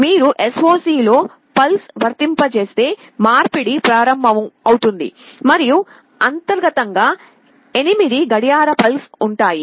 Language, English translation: Telugu, If you apply a pulse in SOC the conversion will start and internally there will be 8 clock pulses